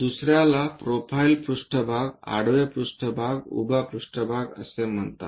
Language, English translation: Marathi, The other one is called profile plane, horizontal plane, vertical plane